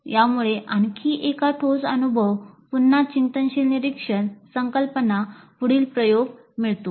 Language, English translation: Marathi, This leads to another concrete experience, again reflective observation, conceptualization, further experimentation